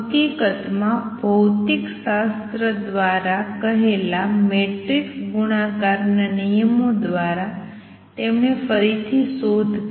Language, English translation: Gujarati, In fact, he rediscovered in a way dictated by physics the matrix multiplication rules